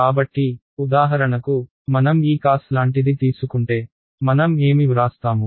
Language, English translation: Telugu, So, for example, does if I take something like this cos of; cos of what do I write